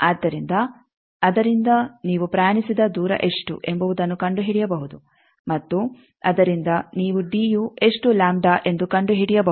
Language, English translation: Kannada, So, from that you can find out, what is the distance you have travelled and from that you can find out what is the d is how many lambda